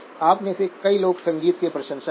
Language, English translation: Hindi, Many of you are music fans